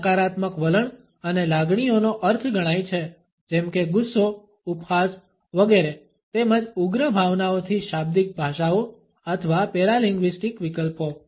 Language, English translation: Gujarati, It adds to the meaning of negative attitudes and feelings like anger ridicule etcetera as well as violent emotions to verbal languages or paralinguistic alternates